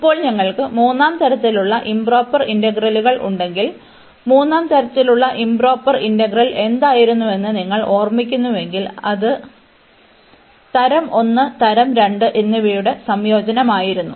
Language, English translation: Malayalam, Now, if we have the improper integrals of 3rd kind, so you just to recall what was the improper integral of third kind, it was the mixture of the integral of kind 1 and kind 2